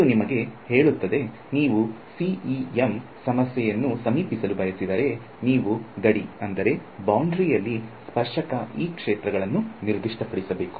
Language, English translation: Kannada, So, this also tells you that if you want to approach a CEM problem, you need to specify the tangential E fields on the boundary